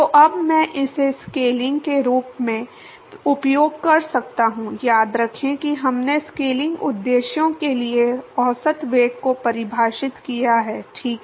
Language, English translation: Hindi, So, now I can use that as a scaling, remember we defined average velocity for scaling purposes, right